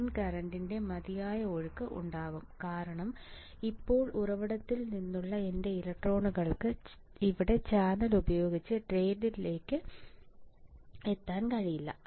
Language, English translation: Malayalam, There will be sufficient flow of current sufficient flow of drain current why because now my electrons from source cannot reach to drain using the channel here